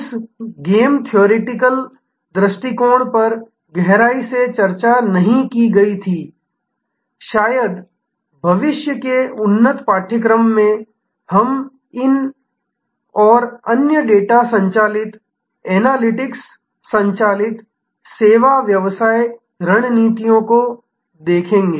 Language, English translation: Hindi, This game theoretic approach was not discussed in depth, perhaps in a future advanced course, we will look at these and other more data driven, analytics driven service business strategies